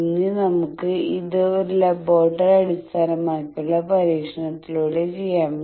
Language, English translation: Malayalam, Now let us do this that in a laboratory based experiment